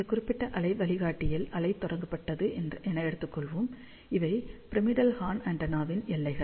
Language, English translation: Tamil, So, let us say now the wave is launched in this particular waveguide, and these are the boundaries of the pyramidal horn antenna